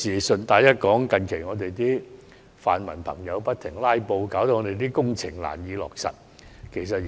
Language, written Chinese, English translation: Cantonese, 順帶一提，近日泛民朋友不斷"拉布"，令很多工程難以落實。, I would like to say in passing that various construction projects have recently encountered difficulties caused by our pan - democratic friends constant filibustering